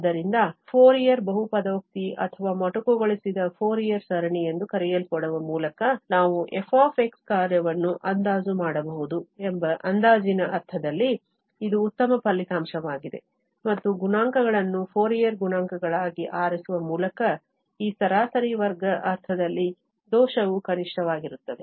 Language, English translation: Kannada, So, this is a nice result in the sense of the approximation that we can approximate the function f by such so called the Fourier polynomial or the truncated Fourier series, and the error in this mean square sense will be minimum by choosing these coefficients as Fourier coefficients